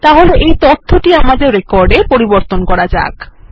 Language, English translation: Bengali, So let us, update this information into this record